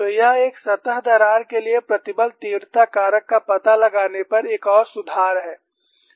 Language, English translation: Hindi, So, this is one more improvement on finding out stress intensity factor for a surface crack